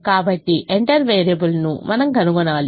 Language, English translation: Telugu, so we have to find out the entering variable